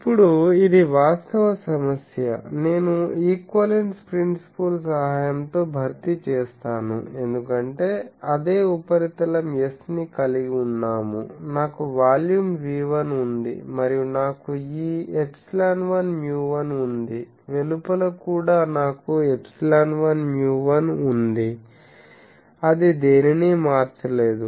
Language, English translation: Telugu, Now, this actual problem I will replace with the help of equivalence problem, fill equivalence principle as this same surface S, I have the volume V1, and I have these epsilon 1 mu 1, outside also I have epsilon 1 mu 1 that has not change anything